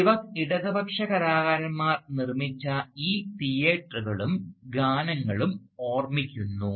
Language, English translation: Malayalam, So, Spivak also remembers these theatres and these songs, produced by leftist artists